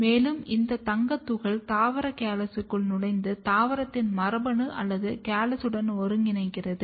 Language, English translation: Tamil, And, then these gold particle insert inside the plant callus where it goes and integrate with the genome of the plant or the callus